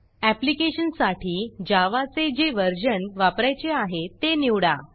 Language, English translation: Marathi, Select the version of Java you want to use with your application